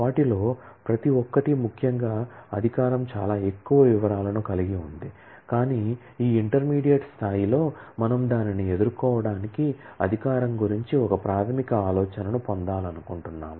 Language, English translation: Telugu, Each one of them particularly authorization has lot more details, but at this intermediate level we just wanted to get a basic idea about authorization to be able to deal with that